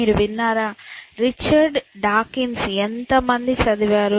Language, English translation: Telugu, Have you heard, how many of read anything by Richard Dawkins